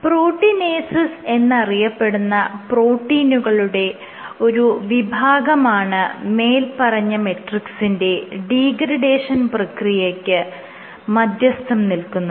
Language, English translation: Malayalam, So, the degrading these matrixes, some of the most, so you have these degrading matrices are mediated by class of proteins called proteinases